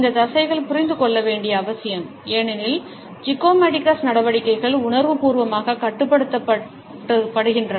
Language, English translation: Tamil, This muscles are important to understand because zygomaticus measures are consciously controlled